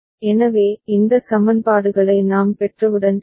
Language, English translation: Tamil, So, once we get these equations ok